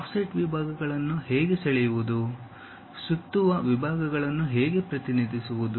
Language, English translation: Kannada, How to draw offset sections, how to represent revolve sections